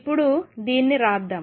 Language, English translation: Telugu, So, let us write this now